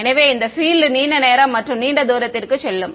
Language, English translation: Tamil, So, this field will go on for a very long time and distance right